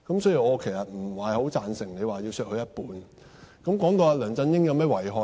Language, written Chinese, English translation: Cantonese, 所以，我其實不太贊成你要求削減他一半的薪金。, Therefore I do not quite agree to your request to have his personal emolument cut by half